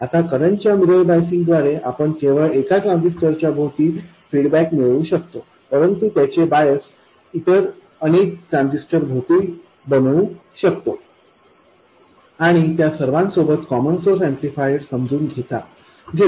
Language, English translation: Marathi, Now with a current mirror biasing we can have feedback around just one transistor but replicate its bias around many other transistors and realize common source amplifiers with all of them